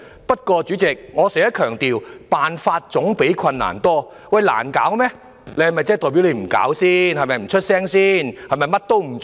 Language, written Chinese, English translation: Cantonese, 不過，代理主席，我經常強調，辦法總比困難多，如果難以處理，是否代表政府便不用處理、不發聲或甚麼也不做？, However Deputy President I often stress that there are always more solutions than problems . If something is a hard nut to crack does it mean the Government does not have to deal with it or say and do anything?